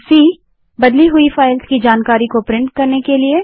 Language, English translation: Hindi, c#160: Print information about files that are changed